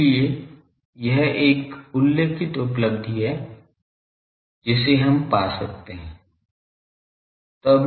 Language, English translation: Hindi, So, this is a remarkable achievement that we can find these